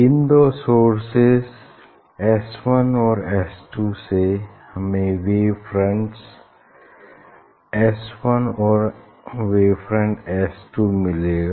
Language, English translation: Hindi, we will from this source S 1 and S 2 you will get wave front S 1 and wave front from S 2